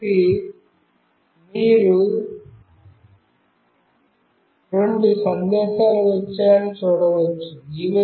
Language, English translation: Telugu, So, you can see two messages have come